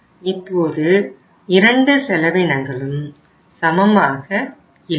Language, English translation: Tamil, Now both the costs are not equal